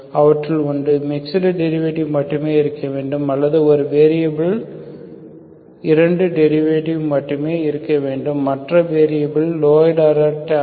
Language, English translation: Tamil, One of them, so the mixed derivative are only should be there or only 2 derivatives of one variable, other variables are not, only lower order terms it will be there